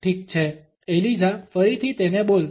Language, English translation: Gujarati, All right Eliza say it again